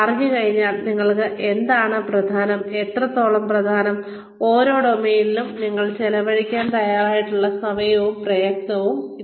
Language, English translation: Malayalam, Once you know, what is important for you, and how much, and what you are willing to the amount of time and effort, you are willing to spend, on each of these domains